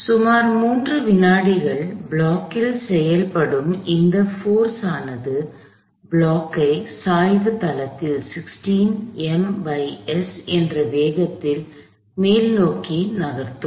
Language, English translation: Tamil, So, this force acting on the block for about three seconds would get the block up the inclined plane to a velocity of 16 meters a second